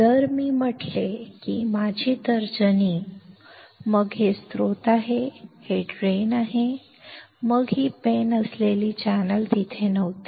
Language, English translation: Marathi, If I say that my index finger; then, this one is source and this one is drain; then, the channel which is this pen was not there